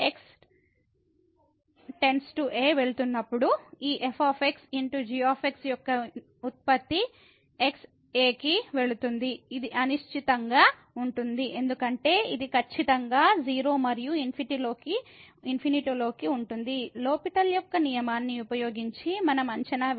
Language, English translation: Telugu, As goes to a then this product of into this as x goes to is is indeterminate, because this is precisely 0 and into infinity which we have to evaluate using the L’Hospital rule discussed in the last lecture